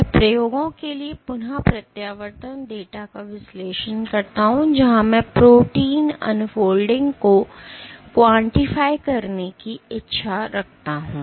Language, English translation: Hindi, I analyze the retraction data for experiments where I want to add quantify addition or wish to quantify protein unfolding